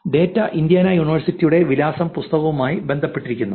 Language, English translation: Malayalam, Coerrelated this data with Indiana University’s address book